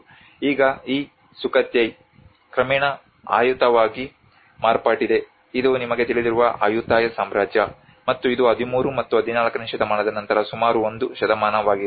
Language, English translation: Kannada, So now this Sukhothai have gradually becomes the Ayutthaya you know this is the Ayutthaya Kingdom and which is about a century after 13th and 14th century